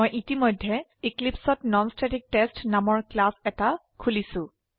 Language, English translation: Assamese, I have already opened a class named NonStaticTest in Eclipse